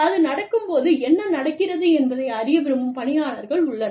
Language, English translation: Tamil, There are people, who want to know, what is happening, when it is happening